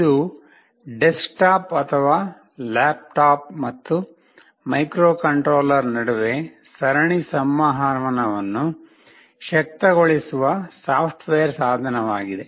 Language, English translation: Kannada, It is a software tool that enables serial communication between a desktop or a laptop and the microcontroller